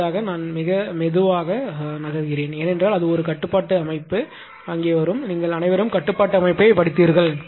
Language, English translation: Tamil, I will move very slowly for this one ah because it is it is a control system will come here right and you have all studied control system